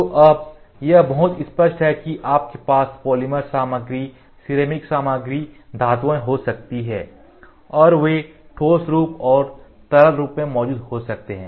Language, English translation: Hindi, So, now, it is very clear you can have polymer material, ceramic material, metals and they can exist in solid form and liquid form